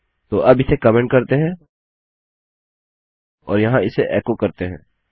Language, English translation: Hindi, So what Ill do is comment this out and here I will echo it out